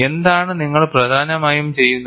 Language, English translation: Malayalam, What you are essentially doing it